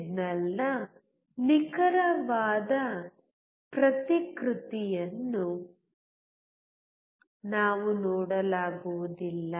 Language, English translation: Kannada, We cannot see exact replication of the signal